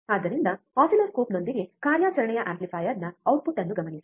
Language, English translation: Kannada, So, with an oscilloscope observe the output of operational amplifier